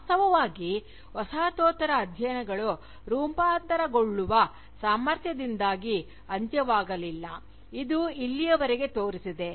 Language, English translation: Kannada, In fact, Postcolonial studies has not died precisely, because of this incredible capacity to mutate, that it has shown so far